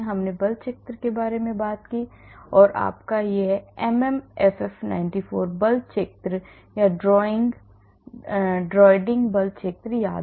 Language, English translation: Hindi, I talked about force field and you remember this MM FF 94 force field or Dreiding force field